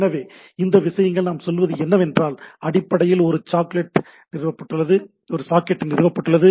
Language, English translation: Tamil, So, this things what we say they a basically a socket is established